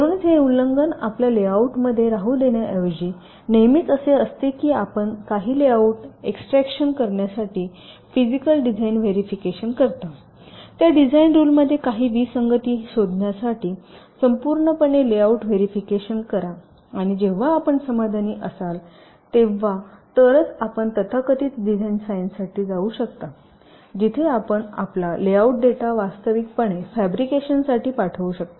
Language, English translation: Marathi, so instead of letting those violations remain with your layout, it is always the case that you do a physical design verification, to do some layout extraction, verify the layout overall to look for some anomalies in those design rules and only if an your satisfy with that, then only you can go for the so called design sign of where you can ah actually send your this layout data for fabrication